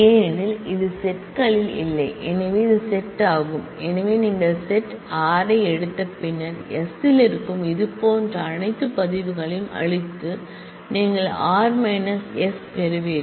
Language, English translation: Tamil, Because, this is this does not exist in the set s so it is the set, so you take the set r and then erase all the records like this which exist in s and you get r minus s